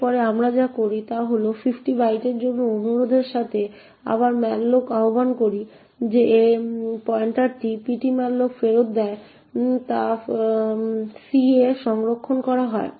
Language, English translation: Bengali, Next what we do is we invoke malloc again with a request for 50 bytes and the pointer that malloc returns is stored in c